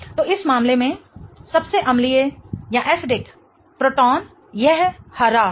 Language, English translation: Hindi, So, the most acidic proton in this case is this green one